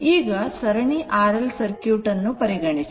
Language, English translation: Kannada, Now, we will see series R L C circuit right